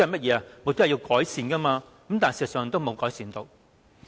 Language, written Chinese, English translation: Cantonese, 便是要作出改善，但事實上並無改善。, They are meant to induce improvements . But there has been none in reality